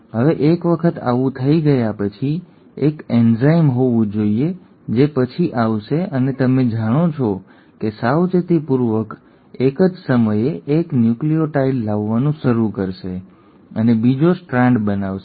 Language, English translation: Gujarati, Now once that has happened the there has to be a enzyme which will then come and, you know, meticulously will start bringing in 1 nucleotide at a time and make a second strand